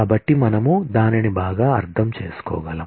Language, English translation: Telugu, So, that we can understand it better